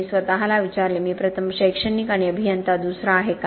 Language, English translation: Marathi, I asked myself, am I an academic first and an engineer second